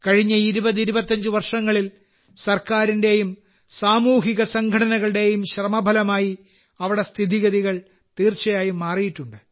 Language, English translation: Malayalam, During the last 2025 years, after the efforts of the government and social organizations, the situation there has definitely changed